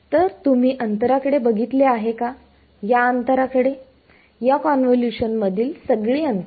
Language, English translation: Marathi, So, you have looking at this distance, this distance this all of these distances in this in convolution